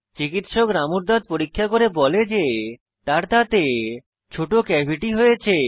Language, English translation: Bengali, The dentist examines Ramus teeth and informs him that he has a small cavity